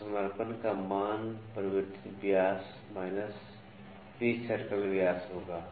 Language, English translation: Hindi, So, the value of deddendum would be altered dia minus pitch circle diameter